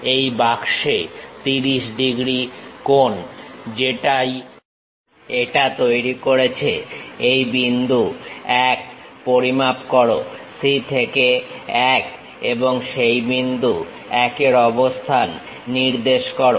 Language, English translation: Bengali, On this box, the 30 degrees angle whatever it is making, measure this point 1 C to 1 and locate that point 1